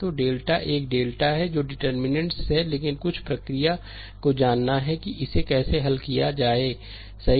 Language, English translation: Hindi, So, delta is a deltas are the determinants, but we have to know some procedure that how to solve it quickly, right